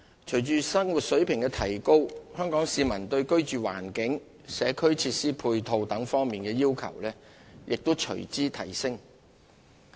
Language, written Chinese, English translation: Cantonese, 隨着生活水平的提高，香港市民對居住環境、社區設施配套等方面的要求亦隨之提升。, With the improvement in living standards Hong Kong people have higher requirements for the living environment and community facilities